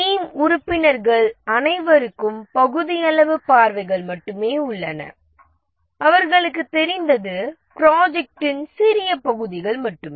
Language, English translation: Tamil, All other team members have only partial views, only small parts of the project they know